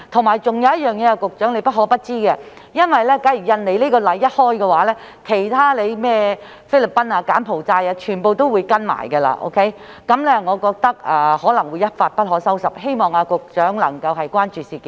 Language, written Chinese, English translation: Cantonese, 還有一點是局長不可不知的，假如印尼此例一開，其他如菲律賓及柬埔寨等國家也會跟隨，我覺得問題可能會一發不可收拾，希望局長能夠關注此事。, If Indonesia sets such an example other countries like the Philippines and Cambodia will follow suit . I think the problem may get out of hand . I hope the Secretary will pay attention to this matter